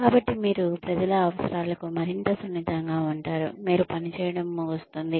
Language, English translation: Telugu, So, you are more sensitive to the needs of the people, you end up working for